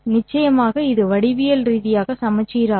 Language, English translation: Tamil, Of course this is symmetric geometrically